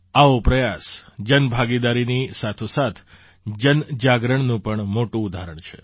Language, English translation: Gujarati, Such efforts are great examples of public participation as well as public awareness